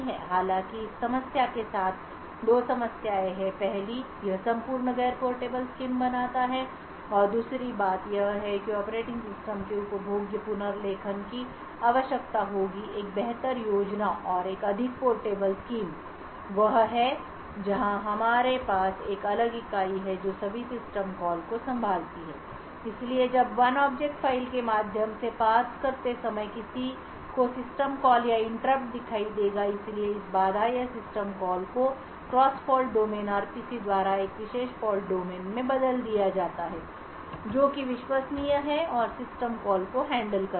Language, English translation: Hindi, However there are two problems with this first it makes the entire scheme a non portable and secondly it would require consumable rewriting of the operating system a better scheme and a more portable scheme is where we have a separate entity which handles all system calls, so whenever while parsing through the object file one would see a system call or an interrupt, so this interrupt or system call is replaced by a cross fault domain RPC to a particular fault domain which is trusted and handle system calls